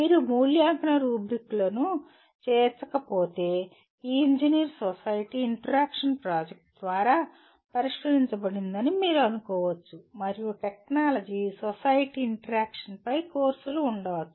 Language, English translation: Telugu, If you do not incorporate evaluation rubrics you can be sure that this engineer society interaction would not be addressed through the project and there can be courses on technology society interaction